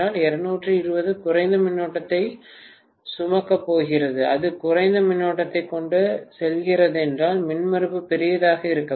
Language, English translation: Tamil, 220 is going to carry a lower current, if it is carrying lower current, the impedance has to be larger, it cannot be smaller